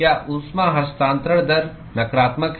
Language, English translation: Hindi, Is the heat transfer rate negative